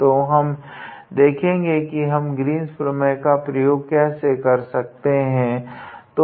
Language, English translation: Hindi, So, we see how we can use the Green’s theorem